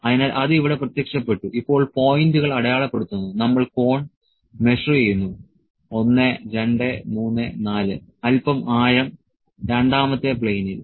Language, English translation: Malayalam, So, it has appeared here now will mark the points, we will measure the cone 1, 2, 3, 4, a little depth in another plane in the second plane